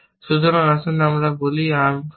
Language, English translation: Bengali, So, I have to achieve arm empty